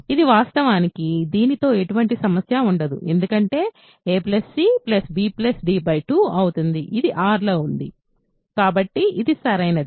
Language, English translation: Telugu, So, this is actually not a problem because it will be a plus c plus b plus d by 2; this is in R